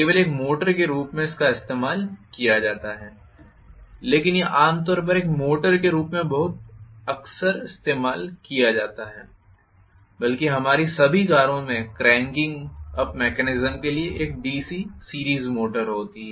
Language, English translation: Hindi, Only as a motor it is used but it is commonly used as a motor very very often, in fact, all our cars contain a DC series motor for cranking up mechanism